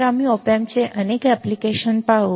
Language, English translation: Marathi, So, we will see several applications of op amp as well ok